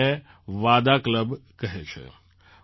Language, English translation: Gujarati, They call these VADA clubs